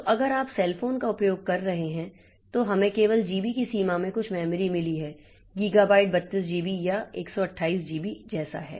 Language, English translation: Hindi, So, so, if you are using a cell phone then we have got some memory in the range of gb only, gigabyte 32 gb or 128 gb so like that